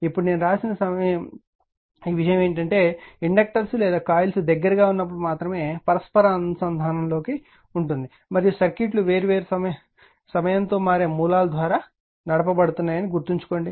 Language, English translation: Telugu, Now, now something I have written keep in mind that mutual coupling only exists when the inductors or coils are in close proximity and the circuits are driven by time varying sources